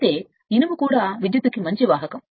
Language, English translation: Telugu, However, iron is also a good conductor of electricity